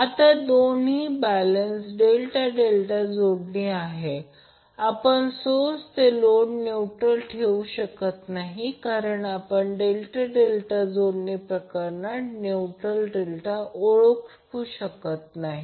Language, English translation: Marathi, Now since both are balanced delta delta connections we will not be able to put neutral from source to load because we cannot identify neutral in case of delta delta connection